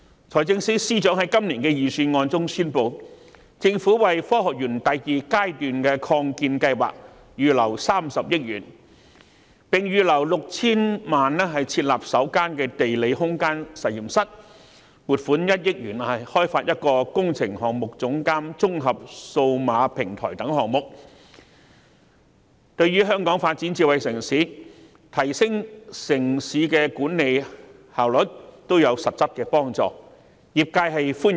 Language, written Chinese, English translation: Cantonese, 財政司司長在今年的預算案中宣布，政府會為科學園第二階段擴建計劃預留30億元，並預留 6,000 萬元設立首間地理空間實驗室，以及撥款1億元開發一個工程監督綜合數碼平台等，這些項目對香港發展智慧城市、提升城市管理效率亦有實質幫助，業界對此表示歡迎。, The Financial Secretary has announced in this years Budget that the Government will earmark 3 billion for Phase 2 of the Science Park Expansion Programme . Moreover 60 million will be earmarked for the establishment of the first Geospatial Lab whereas 100 million will be allocated to the development of an integrated digital platform for works supervision etc . Our sector welcomes these projects which will be substantially conducive to the development of Hong Kong into a smart city while enhancing the efficiency of city management